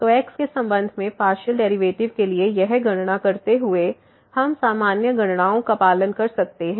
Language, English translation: Hindi, So, just doing this calculation for a partial derivative with respect to , we can just follow the usual calculations